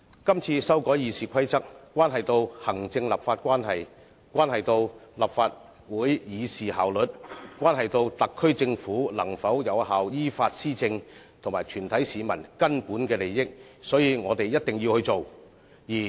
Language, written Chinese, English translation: Cantonese, 這次修改《議事規則》關係到行政立法關係、立法會議事效率、特區政府能否有效依法施政，以及全體市民的根本利益，所以我們必須做。, The current amendment of RoP has a bearing on the executive - legislative relationship efficiency of Council proceedings the likelihood of the effective policy implementation by the SAR Government as well as the fundamental interests of all Hong Kong people . Thus we must act accordingly